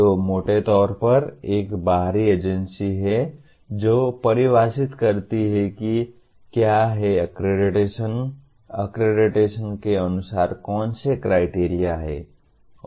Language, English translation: Hindi, So, broadly there is an external agency which defines what is the, what are the criteria according to which the accreditation is performed